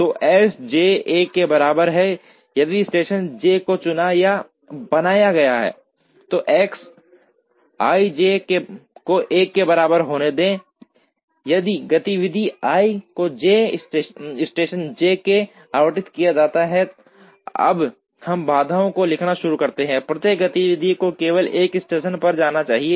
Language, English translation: Hindi, So, S j equal to 1, if station j is chosen or created, and let X i j equal to 1, if activity i is allotted to station j; now we start writing the constraints, each activity should go to only 1 station